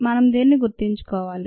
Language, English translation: Telugu, we need to remember this